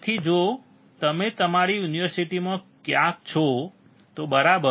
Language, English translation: Gujarati, So, if you are somewhere in your university, right